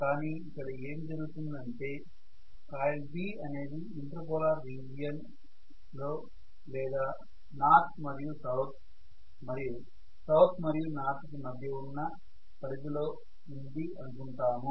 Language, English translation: Telugu, Now I should also expect that this current will be I but what happens is I normally anticipate that coil B is in the inter polar region or in the border between north and south and south and north or whatever